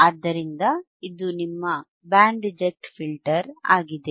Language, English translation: Kannada, So, this is your Band reject filter right